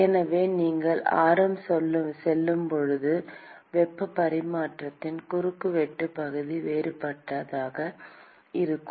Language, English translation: Tamil, So, as you go alng the radius, the cross sectional area of heat transfer is going to be different